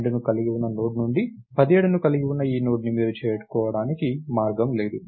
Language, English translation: Telugu, There is no way in which you can reach this Node containing 17 from the Node containing 12